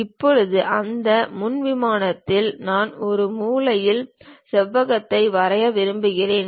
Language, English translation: Tamil, Now, on that frontal plane, I would like to draw a corner rectangle